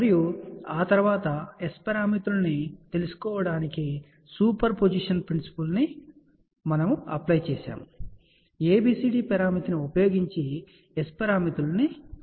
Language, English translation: Telugu, And after that apply the principle of superposition to find out the S parameters, by using ABCD parameter conversion to S parameters